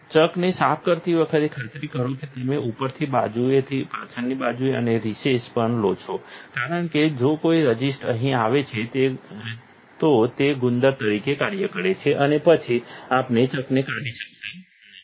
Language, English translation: Gujarati, When cleaning the chucks, make sure that you take the top, the sides, of the back side and also the recess because if any resist gets in here it acts as glue and then we cannot get the chuck off